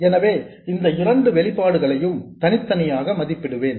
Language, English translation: Tamil, So, I will evaluate these two expressions separately